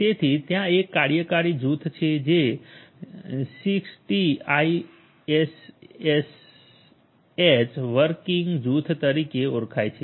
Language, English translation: Gujarati, So, there is a working group which is known as the 6TiSCH working group 6TiSCH